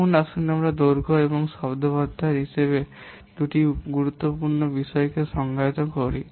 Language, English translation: Bengali, Now let's define two other things, important things called as length and vocabulary